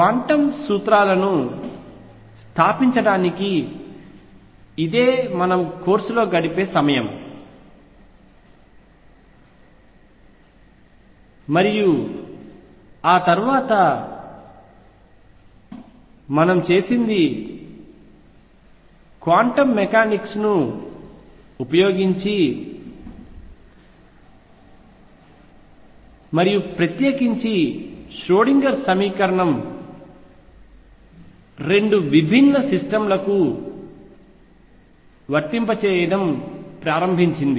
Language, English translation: Telugu, So, this was the time spend in the course in establishing the quantum principles and after that what we did was started applying quantum mechanics and in particular the Schrodinger's equation 2 different systems